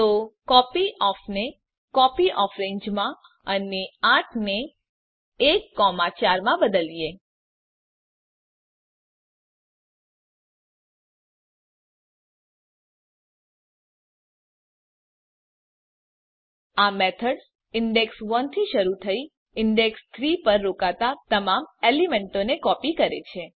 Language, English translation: Gujarati, So Change copyOf to copyOfRange and 8 to 1, 4 This methods copies all the elements starting from the index 1 and stopping at index 3